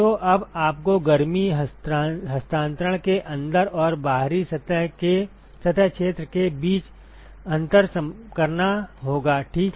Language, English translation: Hindi, So, now, you have to distinguish between the inside and the outside surface area of heat transfer ok